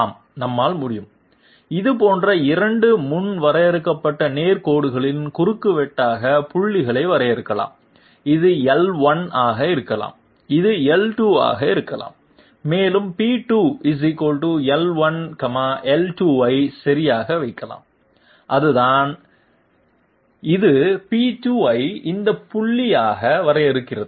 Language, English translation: Tamil, Yes we can, we can define points as intersection of two predefined straight lines like this might be L1, this might be L2 and we can simply right P2 = L1, L2 that is it, it defines P2 as this point